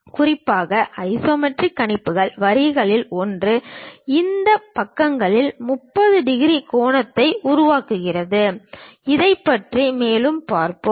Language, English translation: Tamil, Especially isometric projections one of the lines makes 30 degrees angle on these sides; we will see more about that